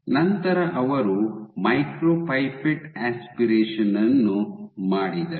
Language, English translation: Kannada, So, they then did micropipette aspiration ok